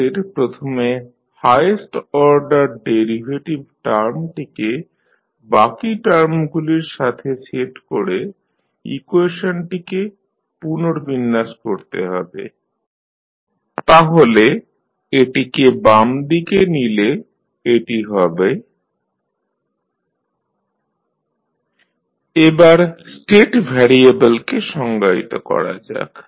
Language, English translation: Bengali, We have to first rearrange the equation by setting the highest order derivative term to the rest of the terms, so if you take this on the left so this will become d3yt by dt3 is equal to minus 5 d2y by dt2 minus dy by dt minus 2yt plus ut